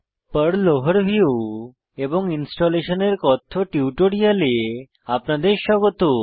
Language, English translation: Bengali, Welcome to the spoken tutorial on PERL Overview and Installation of Perl